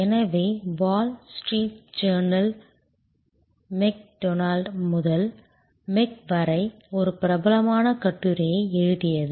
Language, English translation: Tamil, So, wall street journal wrote a famous article that from McDonald’s to Mc